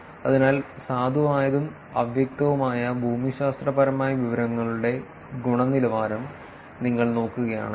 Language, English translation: Malayalam, So, if you look at here quality of valid and unambiguous geographic information